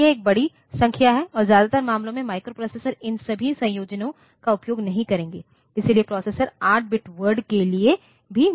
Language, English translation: Hindi, But, that is a huge number and in most of the cases microprocessors will not use all these combinations, so, processor designs even for an 8 bit word